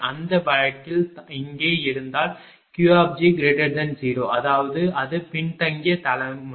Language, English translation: Tamil, In that case if here Q g greater than 0; that means, it is lagging generation right